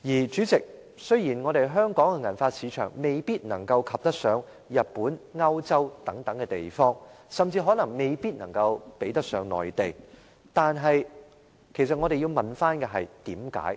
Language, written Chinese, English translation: Cantonese, 主席，雖然香港的銀髮市場未必能夠及得上日本和歐洲等地方，甚至可能未必能夠比得上內地，但其實我們要問為甚麼？, President although the silver hair market in Hong Kong may not be a match for that in Japan or places in Europe or ours may even be no match for that in the Mainland we actually should ask why this is the case